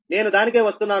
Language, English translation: Telugu, i will come to that